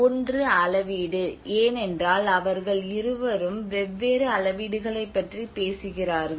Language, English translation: Tamil, One is the scales, because they two talk about different scales